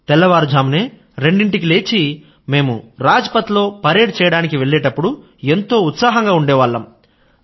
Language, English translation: Telugu, When We used to get up at 2 in the morning to go and practice on Rajpath, the enthusiasm in us was worth seeing